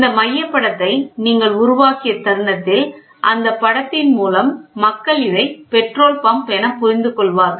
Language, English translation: Tamil, So, moment you have this centre image made then by looking at the symbol people understand, this looks like a petrol pump